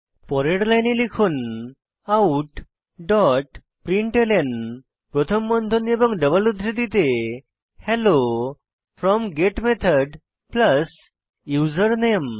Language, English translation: Bengali, So, on the next line type out dot println within brackets and double quotes Hello from GET Method plus username